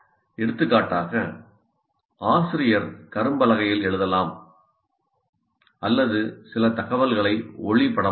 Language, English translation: Tamil, For example, the teacher can write something or project some information